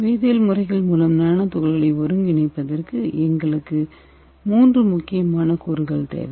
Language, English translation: Tamil, For synthesizing nano practical by chemical method we need 3 important components